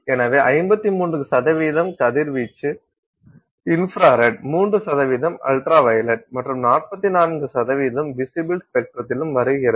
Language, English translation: Tamil, So, 53 percent of the radiation comes in the infrared, 3 percent in the ultraviolet and 44% in the visible spectrum